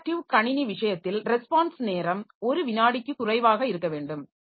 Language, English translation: Tamil, In case of interactive system, the response time should be less than one second